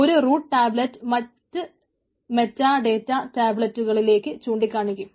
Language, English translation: Malayalam, a root tablet points to the other meta data tablets